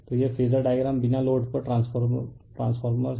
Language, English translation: Hindi, So, so this is this phasor diagram the transfer on no load